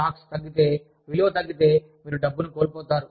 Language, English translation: Telugu, If the stocks go down, if the value goes down, you end up, losing money